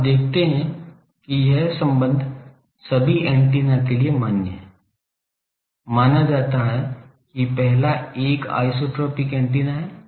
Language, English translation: Hindi, Now, you see this relation is valid for all the antennas, considered that the first one is an isotropic antenna